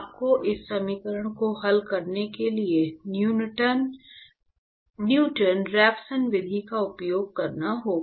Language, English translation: Hindi, So, you have to use the Newton Raphson method to solve this equation